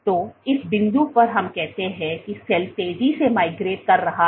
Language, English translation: Hindi, So, at this point let us say the cell is migrating fast